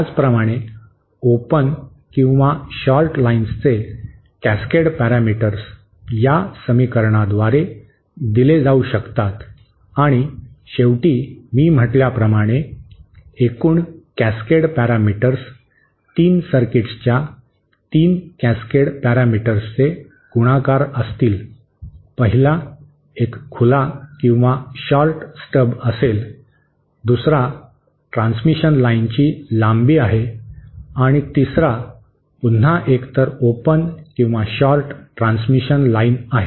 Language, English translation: Marathi, Similarly the cascade parameters of the open or shorted lines can be given by these equations and finally as I said, the overall cascade parameters will be the multiplications of the 3 cascade parameters of the 3 circuits, the 1st one being either an open or shorted stub, the 2nd one is a length of transmission line, and the 3rd one is again either an open or shorted transmission line